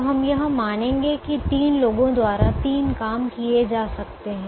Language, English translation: Hindi, so we will assume that there are three jobs that can be done by three people